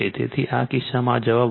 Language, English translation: Gujarati, So, in this case this answer is 12